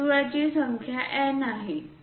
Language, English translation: Marathi, There are N number of circles